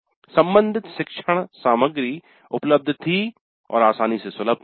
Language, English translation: Hindi, The learning material provided was relevant